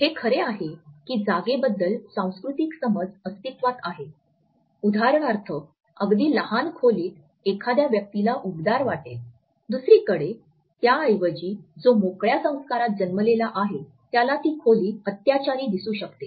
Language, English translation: Marathi, It is true that cultural understanding of space does exist, for example, a very small room which is very barely furnished can sound to be cozy to a person On the other hand to a person who is born in an effusive culture the same room may look rather oppressive and bare